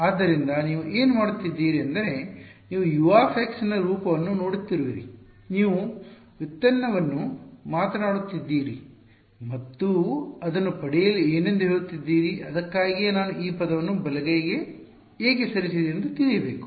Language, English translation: Kannada, So, all of you what you are doing is you are looking at the form of U x you are talking the derivative and telling you what it is for getting that why did I move this term to the right hand side it should be known